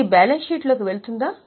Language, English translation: Telugu, Will it go in balance sheet